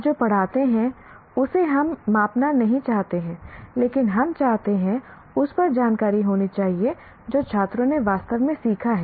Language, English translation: Hindi, We don't want to measure what you taught, but what we want to have information on is what the students have actually learned